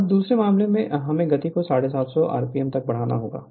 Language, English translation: Hindi, Now, in the second case, we have to raise the speed to 750 rpm